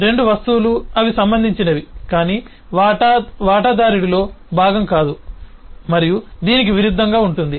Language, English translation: Telugu, both are objects, they are related, but share is not a part of the shareholder right, and vice versa